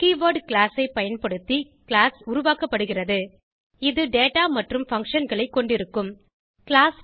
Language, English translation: Tamil, Class is created using a keyword class It holds data and functions